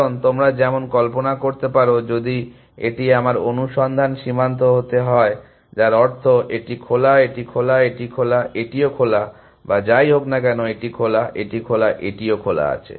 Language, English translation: Bengali, Because, as you can imagine, if this was to be my search frontier which means, this is on open, this is on open, this is on open, this is on open or whatever, this is on open, this is on open, this is on open